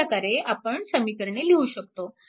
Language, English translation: Marathi, You solve equation 1 and 2